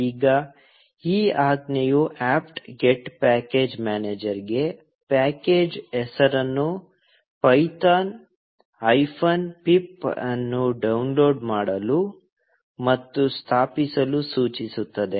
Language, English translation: Kannada, Now, this command instructs the apt get package manager to download and install the package name python hyphen pip